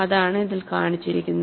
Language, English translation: Malayalam, And that is what is shown in this